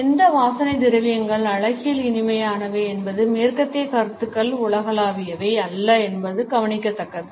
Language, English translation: Tamil, It is interesting to note that the Western notions of which fragrances are aesthetically pleasant is not universal